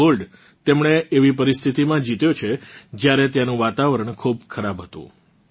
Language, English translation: Gujarati, He won this gold in conditions when the weather there was also inclement